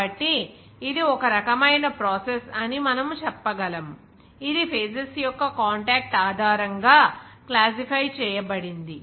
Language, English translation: Telugu, So, we can say that this is one type of process which can be classified based on the contact of the phases